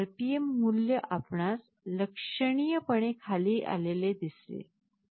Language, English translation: Marathi, So, the RPM value dropped significantly you see